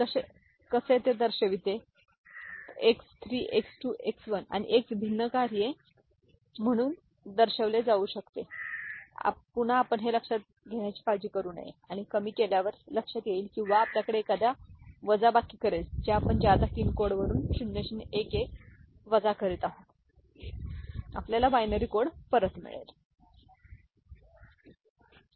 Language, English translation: Marathi, We shall see how it is it can be represented as a function of X 3, X 2, X 1 and X naught for different values, again we shall consider do not care to get this and realize after minimization or we shall have a subtractor by which we are subtracting 0 0 1 1 from the excess 3 code we shall get back the binary code, ok